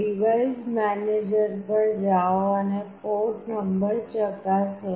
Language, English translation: Gujarati, Go to device manager and check the port number